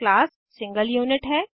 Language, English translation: Hindi, Class is a single unit